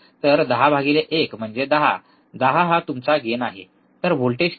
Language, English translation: Marathi, So, 10 by one is 10, 10 is your gain, how much voltage